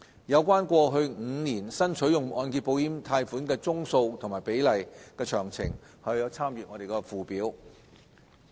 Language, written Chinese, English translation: Cantonese, 有關過去5年新取用按揭保險貸款宗數和比例的詳情可參閱附表。, Please refer to Annex for details on the number and ratio of loans drawn down under the MIP in the past five years